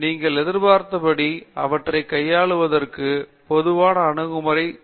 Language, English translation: Tamil, And what are typical approaches you would have for handling them that you can expect